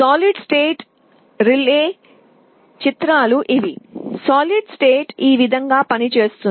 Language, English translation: Telugu, This is how solid state relay works